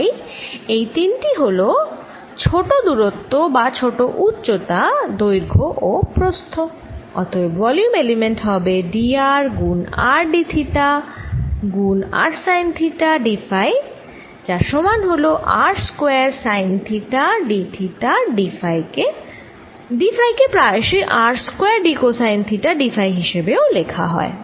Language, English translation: Bengali, alright, so these three are the small distances, or small height, length and width of the volume element, and therefore the volume element is nothing but d r times r d theta times r sine theta d phi, which is equal to r square sine theta d theta d phi is sometime also written as r square d cosine of theta d phi